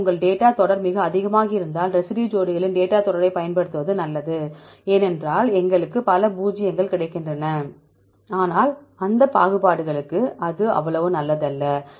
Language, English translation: Tamil, So, if your data series is very high then it is good to use the residue pairs data series is less because we get several zeros, but that is not so good for that discriminations